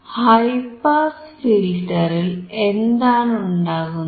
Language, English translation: Malayalam, What does high pass filter means